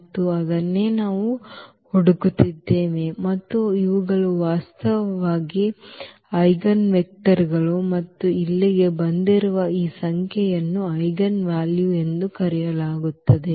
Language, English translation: Kannada, And, that is what we are looking for and these are called actually the eigenvectors and this number which has come here that will be called as eigenvalues